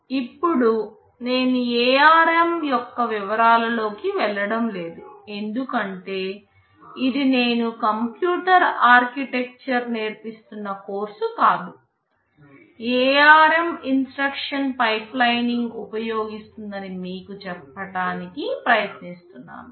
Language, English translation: Telugu, Now, coming to ARM I am not going into the details because this is not a course where I am teaching computer architecture rather I am trying to tell you that ARM uses instruction pipelining